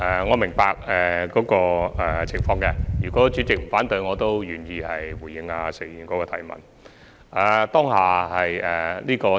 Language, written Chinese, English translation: Cantonese, 我明白這個情況，如果主席不反對的話，我願意回答石議員的補充質詢。, I understand this case . If the President has no objection I am willing to answer Mr SHEKs supplementary question